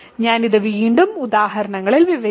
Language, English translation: Malayalam, So, I will describe this again in examples